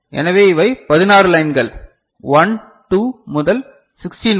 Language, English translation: Tamil, So, these are 16 lines so, 1, 2 to 16